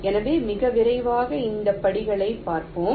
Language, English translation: Tamil, ok, so very quickly, let see this steps